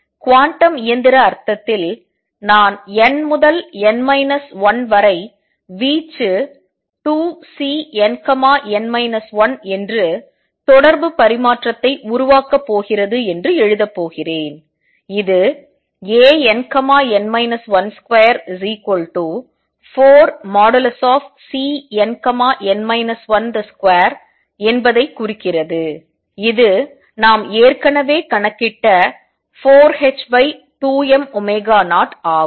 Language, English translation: Tamil, In the quantum mechanical sense then I am going to write that the amplitude n to n minus 1 is going to be 2 C n, n minus 1 making that correspondence and this implies that A n, n minus 1 square is going to be 4 times C n, n minus 1 square which we have already calculated to be 4 h cross over 2 m omega 0